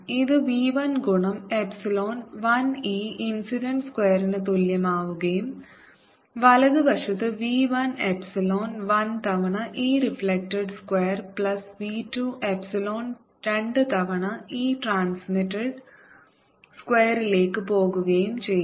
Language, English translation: Malayalam, this is going to be is going to be equal to v one times epsilon one e incident square and the right hand side is going to b one one time epsilon one times e reflected square plus v two epsilon two times e transmitted square